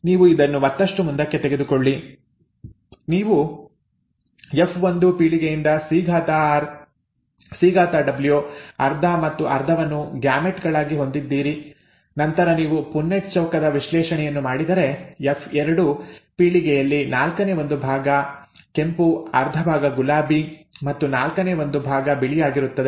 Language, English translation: Kannada, You take this further, you have the gametes from the F1 generation as C capital R, C capital W, half and half and then if you do a Punnett square analysis, one fourth would be red, half would be pink and one fourth would be white in the F2 generation